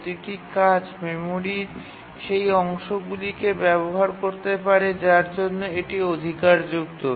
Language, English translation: Bengali, That is, each task can access only those part of the memory for which it is entitled